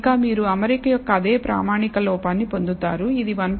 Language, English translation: Telugu, Furthermore, you get the same standard error of fit which is 1